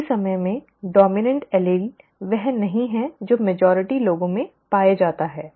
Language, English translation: Hindi, At the same time the dominant allele is not the one that is found the majority of people, okay